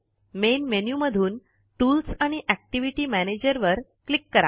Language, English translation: Marathi, From the Main menu, click Tools and Activity Manager